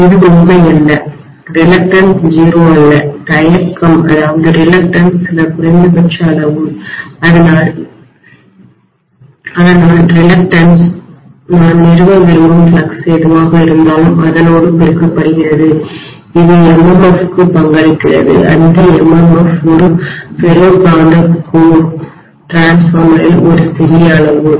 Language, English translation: Tamil, It is not true, reluctance is not 0, reluctance is some minimum quantity, so that reluctance multiplied by whatever is the flux that I want to establish that is what is contributing towards the MMF that MMF is a small quantity in a ferromagnetic core transformer